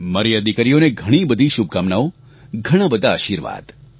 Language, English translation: Gujarati, My best wishes and blessings to these daughters